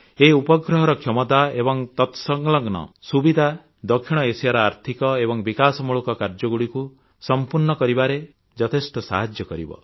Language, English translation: Odia, The capacities of this satellite and the facilities it provides will go a long way in addressing South Asia's economic and developmental priorities